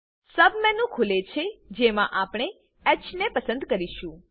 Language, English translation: Gujarati, A submenu opens in which we will select H